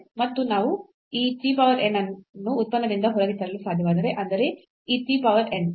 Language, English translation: Kannada, And, if we can bring this t power n out of the function; that means, this t power n